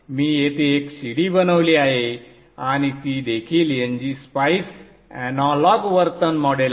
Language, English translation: Marathi, I have made an adder here and that is also NG Spice Analog Behavioral Model